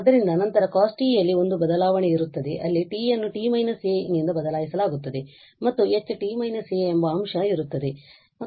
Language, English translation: Kannada, So, then there will be a shift in cos t with the t will be replace by t minus a and there will be a factor H t minus a